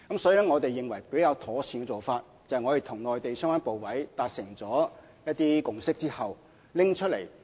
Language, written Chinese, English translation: Cantonese, 所以，我們認為較妥善的做法是我們與內地相關部委達成一些共識後才作出交代。, Therefore we think it is better to give an account of the details after we have reached a consensus with the relevant Mainland authorities